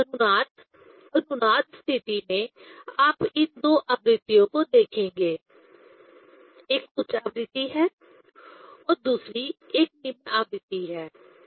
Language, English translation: Hindi, So, this resonance, in resonance condition, you will see these two frequencies: one is higher frequency and other one is lower frequency